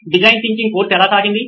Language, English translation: Telugu, How did the design thinking course go